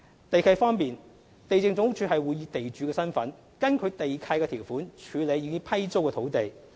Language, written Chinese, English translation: Cantonese, 地契方面，地政總署會以地主身份，根據地契條款處理已批租的土地。, In respect of lease enforcement the Lands Department LandsD in the capacity of the landlord handles the leased land under the conditions in the land leases